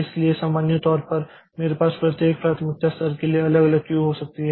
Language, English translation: Hindi, So, in general I can have separate queue for each priority level